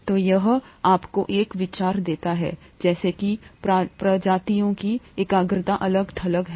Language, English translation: Hindi, So, that gives you an idea as to the concentration of the species that is dissociated